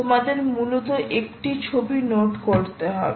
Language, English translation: Bengali, you have to just note this one picture